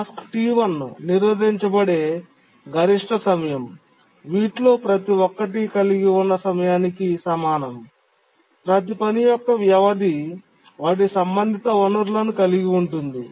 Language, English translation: Telugu, The maximum time the task T1 gets blocked is equal to the time for which each of these holds is the sum of the time for the duration for which each of the task holds their respective resource